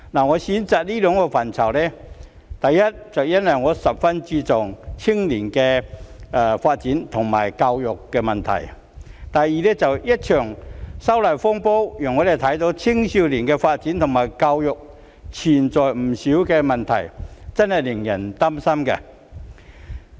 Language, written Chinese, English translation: Cantonese, 我選擇談及這兩個範疇的原因是，第一，我十分注重青少年的發展及教育問題；第二，一場反修例風波讓我們看到青少年的發展及教育存在不少問題，真的令人擔心。, I choose to talk about these two areas because firstly I attach great importance to the development and education of young people; and secondly the disturbances arising from the opposition to the proposed legislative amendments to the Fugitive Offenders Ordinance have shown us the many problems with the development and education of young people which are indeed worrying